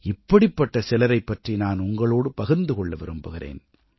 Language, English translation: Tamil, I would like to tell you about some of these people